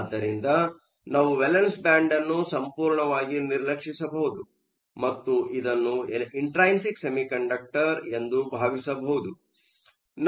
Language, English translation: Kannada, So, we can ignore the valence band totally, and think of this as an intrinsic semiconductor